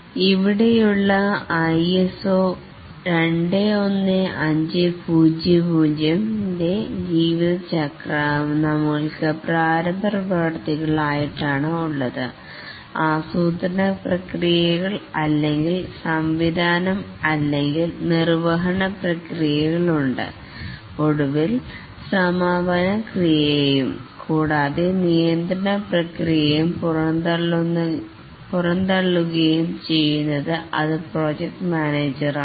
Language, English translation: Malayalam, The ISO 21,500 lifecycle, here also we have the initiating processes, the planning processes, implementing or the directing or executing processes and finally the closing processes and throughout the controlling processes are carried out by the project manager